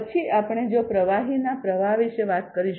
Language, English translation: Gujarati, Then we if we are talking about fluid flow